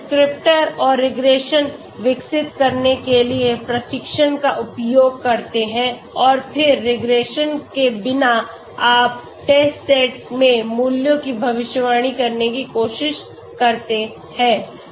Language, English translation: Hindi, You use the training to develop the descriptor and the regression and then without regression you try to predict the values in the test set okay so if I have say 6 data points what will I do